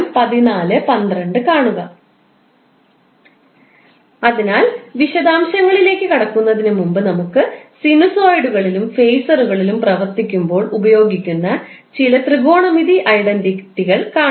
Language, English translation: Malayalam, So, before going into the details, let's see a few of the technometric identities which you will keep on using while you work on sinosides as well as phaser